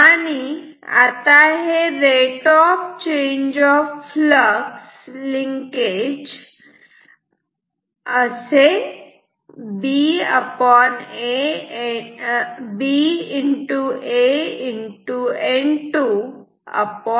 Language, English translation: Marathi, This is the rate of change of flux linkage